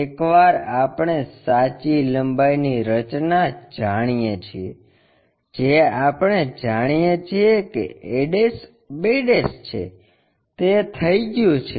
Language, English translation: Gujarati, Once, we know the true length constructing that a' b' we know, that is done